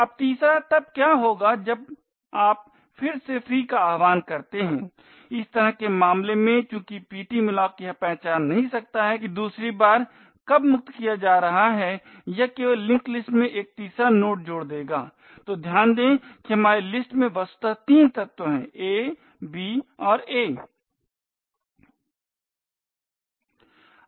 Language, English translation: Hindi, Now thirdly what would happen when you invoke free a again in such a case since ptmalloc cannot identify that a is being freed for the second time it would simply add a third node into the linked list, so note that our linked list virtually has three elements a, b and a